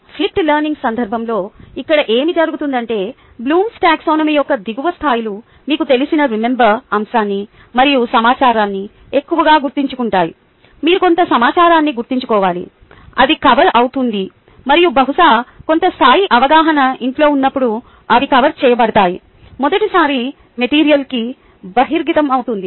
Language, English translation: Telugu, ok, what happens here in the context of flipped learning is that the lower levels of the blooms taxonomy mostly remembering aspect you know and information you need to remember some, some information that gets covered and probably some level of understanding gets covered at home when they are exposed to the material for the first time and then they come back to class and the higher levels of the blooms taxonomy applying, analyzing typically, maybe some evaluating, and we figure them some time